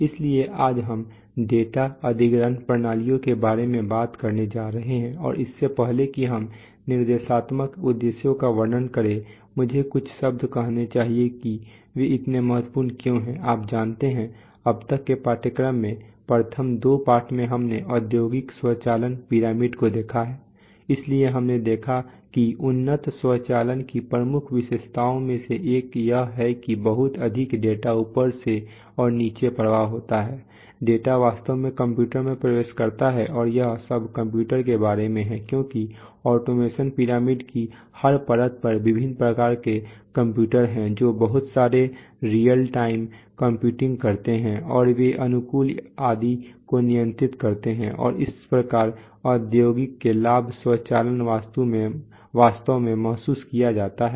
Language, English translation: Hindi, So today we are going to talk about data acquisition systems and before we describe the instructional objectives, let me say a few words about why they are so important, you know, so far in the course we have, first of all in the first two lessons we have seen that, the we have seen the industrial automation pyramid right, so we saw that one of the, one of the major features or characterizing features of advanced automation is that there is a lot of data flow up and down that is data actually gets into the into computers and it's all about computers because there are computers at every layer of the automation pyramid of various types which do a lot of real time computing right and they do control optimization etc, and that is how the benefits of industrial automation are actually realized